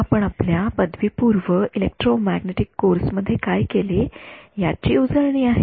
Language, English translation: Marathi, This is a bit of a revision of what you would have done in the your undergraduate electromagnetics course